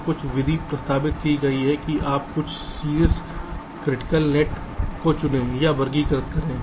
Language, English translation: Hindi, so some method have been proposed that you select or classify some of the top critical nets